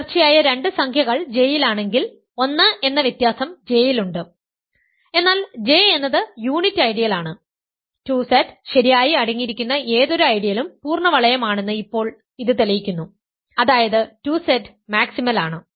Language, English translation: Malayalam, If two consecutive integers are in J, the difference which is 1 is in J, but J is in then J is the unit ideal; now that proves that any ideal that contains 2Z properly is the full ring; that means 2Z is maximal right